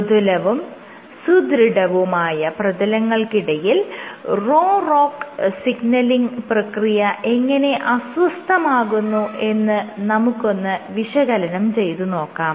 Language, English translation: Malayalam, To see how Rho ROCK signaling was perturbed between soft and stiff surfaces